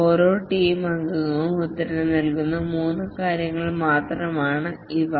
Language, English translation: Malayalam, Basically, each team member answers three questions